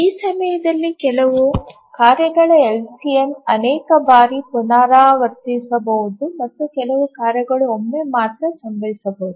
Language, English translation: Kannada, During this LCM, some tasks may repeat multiple number of times and some tasks may just occur only once